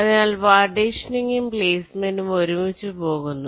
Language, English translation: Malayalam, so partitioning in placement are going hand in hand